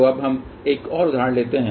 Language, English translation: Hindi, So, now let us take another example